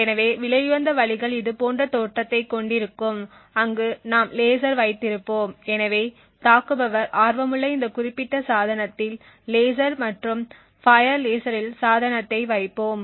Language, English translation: Tamil, So the expensive ways would look something like this where we would have a laser so we would place the device which the attacker is interested in the laser and fire laser at this specific device